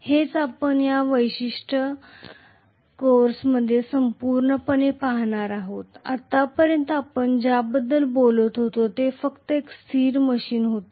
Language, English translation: Marathi, That is what we are going to look at in this particular course on the whole, until now what we talked about was only a static machine